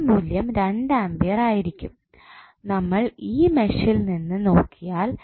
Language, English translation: Malayalam, Value of i 3 would be 2 ampere which you can see from this mesh